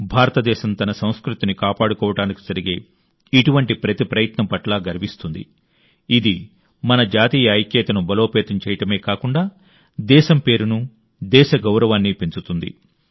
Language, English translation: Telugu, India is proud of every such effort to preserve her culture, which not only strengthens our national unity but also enhances the glory of the country, the honour of the country… infact, everything